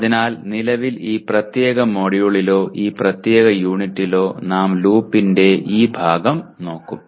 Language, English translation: Malayalam, So presently in this particular module or this particular unit we will look at this part of the loop